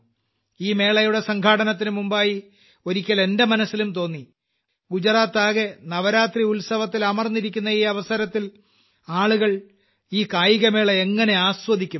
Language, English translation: Malayalam, Before organizing these games, once it came to my mind that at this time the whole of Gujarat is involved in these festivals, so how will people be able to enjoy these games